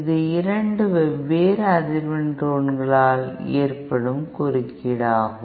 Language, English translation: Tamil, It is interference between caused by 2 different frequency tones